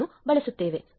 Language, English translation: Kannada, 1, it does not support 1